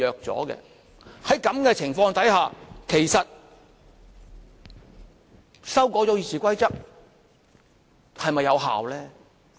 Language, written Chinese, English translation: Cantonese, 在此情況之下，其實修改《議事規則》是否有效呢？, Under this circumstance is it really effective to amend the Rules of Procedure?